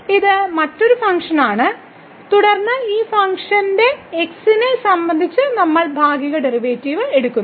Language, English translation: Malayalam, So, this is another function and then we are taking partial derivative with respect to of this function